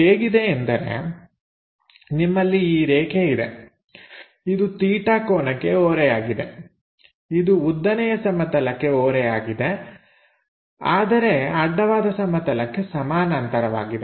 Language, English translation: Kannada, So, it is more like you have this your line makes an angle theta, that kind of thing is inclined to vertical plane, but it is parallel to horizontal plane